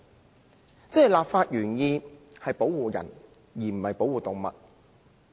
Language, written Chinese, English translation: Cantonese, 換言之，立法原意是保護人，而不是保護動物。, In other words the legislative intent of such laws is to protect human beings rather than animals